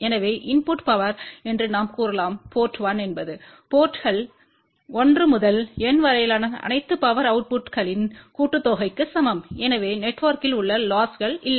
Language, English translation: Tamil, So, we can say that the input power at port 1 is equal to sum of all the power outputs at ports 1 to N so that means, there are no losses within the network